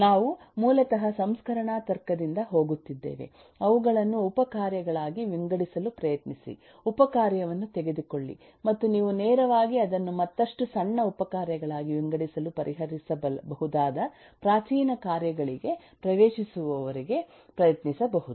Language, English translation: Kannada, we are basically going by the processing logic, try to divide them into subtasks, take up the subtask and try to divide that further into smaller subtasks till you get into primitive tasks that can be directly solved